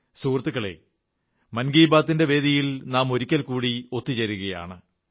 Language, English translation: Malayalam, Friends, we have come together, once again, on the dais of Mann Ki Baat